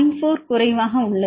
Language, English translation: Tamil, 4 less than 1